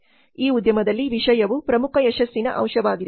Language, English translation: Kannada, Content is the key success factor in this industry